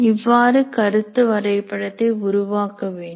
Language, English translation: Tamil, That's how you prepare the concept map